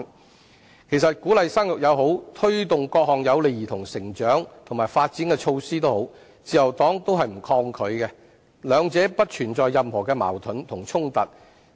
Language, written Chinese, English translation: Cantonese, 其實，無論是鼓勵生育還是推動各項有利兒童成長和發展的措施，自由黨均不抗拒，兩者不存在任何矛盾和衝突。, In fact the Liberal Party has no negative thoughts about any attempt to boost the fertility rate or taking forward various measures conducive to the upbringing and development of children as there is no contradiction and conflict between both